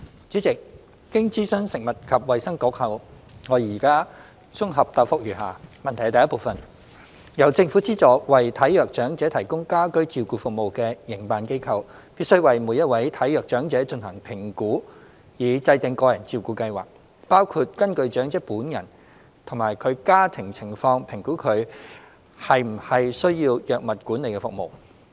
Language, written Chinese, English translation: Cantonese, 主席，經諮詢食物及衞生局後，我現綜合答覆如下：一由政府資助為體弱長者提供家居照顧服務的營辦機構，必須為每一位體弱長者進行評估以制訂個人照顧計劃，包括根據長者本人及其家庭情況評估他/她是否需要藥物管理服務。, President having consulted the Food and Health Bureau FHB my consolidated reply is as follows 1 Operators subsidized by the Government to provide home care services for the frail elderly have to conduct assessment of each frail elderly person in order to formulate their individual care plans including assessing whether heshe needs drug management service taking into account the conditions of the elderly person concerned and hisher family